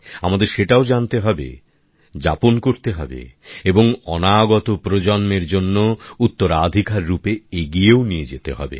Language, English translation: Bengali, We not only have to know it, live it and pass it on as a legacy for generations to come